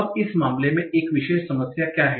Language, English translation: Hindi, Now, what is one particular problem in this case